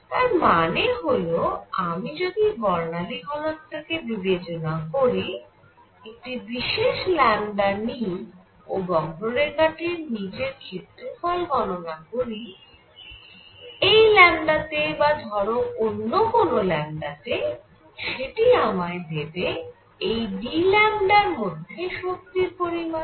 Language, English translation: Bengali, What we mean here is if I take for spectral density; if I take a particular lambda and calculate the area under this curve; at this lambda or calculate area at say another lambda out here; this would give me the energy content in this d lambda